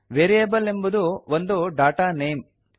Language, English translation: Kannada, Variable is a data name